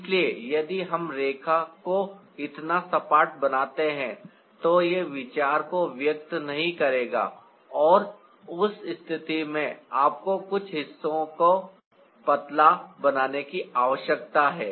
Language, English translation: Hindi, so if we make the line so flat, it won't convey the idea and in that case you need to make some parts thinner